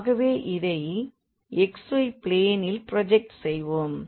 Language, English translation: Tamil, So, let us project into the xy plane